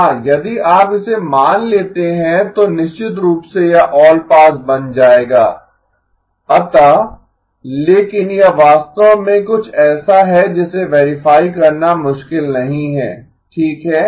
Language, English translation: Hindi, Yeah, if you assume that then of course it will become allpass so but it is actually something that it is not difficult to verify okay